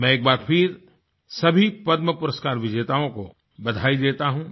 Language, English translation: Hindi, Once again, I would like to congratulate all the Padma award recipients